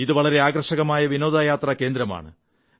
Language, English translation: Malayalam, It is an attractive tourist destination too